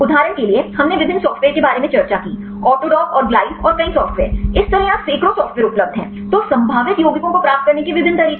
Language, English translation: Hindi, For example, we discussed about various software; autodock and glide and many software; likewise there are hundreds of software available then different ways to get the probable compounds